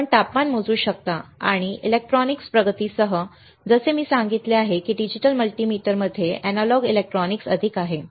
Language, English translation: Marathi, you can also measure temperature, and with advancement of electronics like I said that, there is more analog electronics in a in a digital multimeter